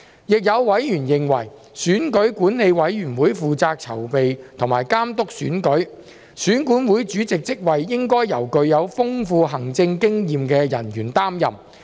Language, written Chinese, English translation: Cantonese, 亦有委員認為，選舉管理委員會負責籌備和監督選舉，選管會主席職位應該由具有豐富行政經驗的人員擔任。, Some members were also of the view that the Electoral Affairs Commission EAC was responsible for the preparation and supervision of elections and the post of EAC Chairman should be filled by an officer with extensive administrative experience